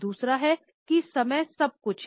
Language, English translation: Hindi, The second is that timing is everything